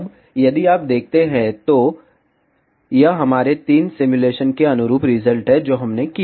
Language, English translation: Hindi, Now, if you see, so this is the result corresponding to our three simulation, which we did